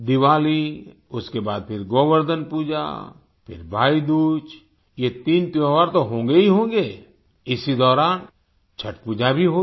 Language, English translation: Hindi, Diwali, then Govardhan Puja, then Bhai Dooj, these three festivals shall of course be there and there will also be Chhath Puja during this interregnum